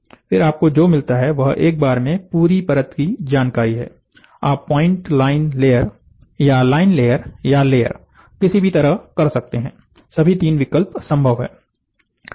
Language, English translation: Hindi, So, then what you get is the entire layer information in one shot, you can do point, line, layer or do line layer or do layer, all the 3 options are possible